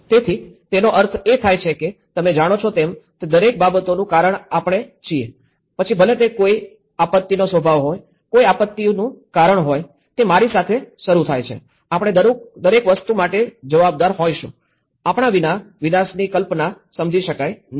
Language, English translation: Gujarati, So, which means we are the cause for everything you know, whether it is a nature of a disaster, the cause for a disaster, it starts with I, we will be responsible for everything, right without us, the concept of disaster cannot be understood